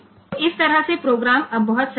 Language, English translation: Hindi, So, this way the program is now very simple